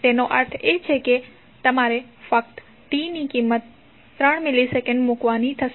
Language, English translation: Gujarati, It means you have to simply replace t with the value of 3 milliseconds